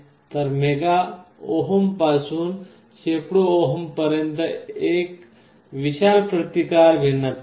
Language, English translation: Marathi, So, from mega ohm to hundreds of ohms is a huge difference